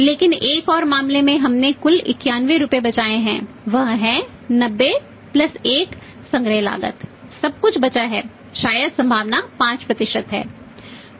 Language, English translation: Hindi, But in the another case we have saved the total 91 rupees that is the cost of 90 + collection cost of 1 everything is saved maybe the probability is 5%